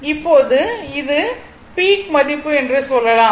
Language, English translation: Tamil, So, now this is the peak value